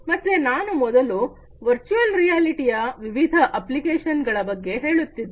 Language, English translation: Kannada, So, I was telling you about the different applications of virtual reality earlier